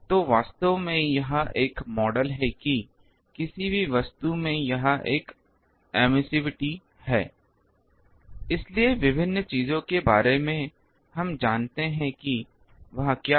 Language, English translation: Hindi, So, actually it is a model that a any object it has an emissivity, so what is the emissivity of various things that we know